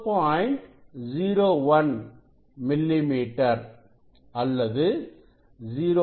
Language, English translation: Tamil, 01 millimetre or 0